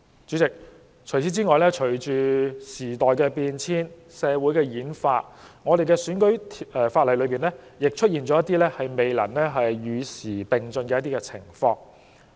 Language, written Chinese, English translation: Cantonese, 主席，此外，面對時代變遷和社會演化，我們的選舉法例卻在某些方面未能與時並進。, Moreover President despite the changes of times and transformation in society our electoral legislation fails to keep abreast of the times in certain respects